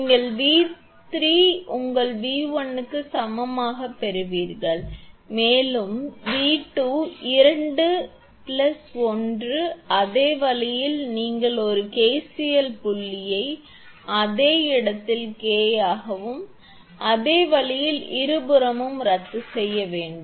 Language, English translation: Tamil, You will get V 3 is equal to your V 1 in to K plus V 2 into 1 plus same way you put a KCL at point Q same way, then you will get because omega C omega C will be cancel on both side